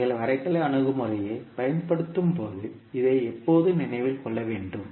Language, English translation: Tamil, So this you have to always keep in mind when you are using the graphical approach